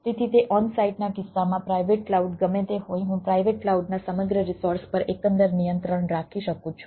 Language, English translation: Gujarati, whatever the private cloud it is there, i can have a overall control over the whole resources of the private cloud